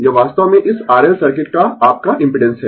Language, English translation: Hindi, This is actually your impedance of this R L circuit right